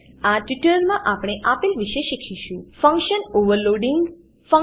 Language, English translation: Gujarati, In this tutorial, we will learn, Function Overloading